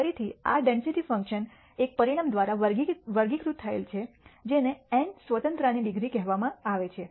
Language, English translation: Gujarati, Again this density function is characterized by one parameter which is n called the degrees of freedom